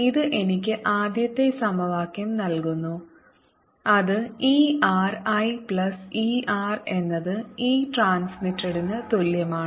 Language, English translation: Malayalam, and this gives me the first equation, which is e r i plus e r is equal to e transmitted